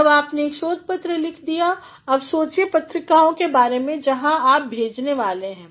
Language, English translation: Hindi, When you have written a research paper now think of the possible journals where you are going to send